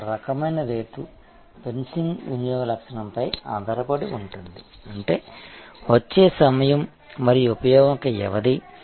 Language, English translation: Telugu, Another kind of rate fencing is based on consumption characteristics; that means, set time and duration of use